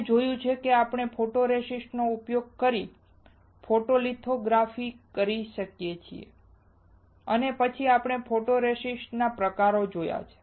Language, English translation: Gujarati, We have seen that, we can perform the photolithography using photoresist and then we have seen the type of photoresist